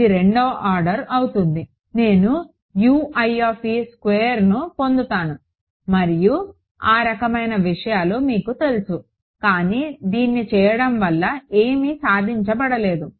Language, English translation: Telugu, It will become second order I will get a U i squared and you know those kind of thing, but what is the nothing is achieved by doing it